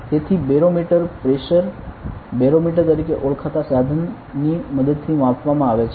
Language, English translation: Gujarati, So, barometric pressure is measured using an instrument known as the barometer